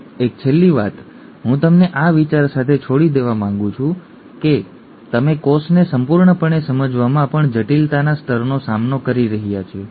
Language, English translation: Gujarati, One last thing, I would like to leave you with this thought to tell you the level of complexity that we are dealing with even in understanding the cell completely